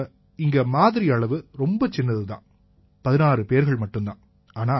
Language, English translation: Tamil, Here the sample size is tiny Sir…only 16 cases